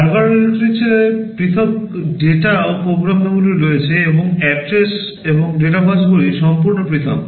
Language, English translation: Bengali, In Harvard architecture there are separate data and program memories, and address and data buses are entirely separate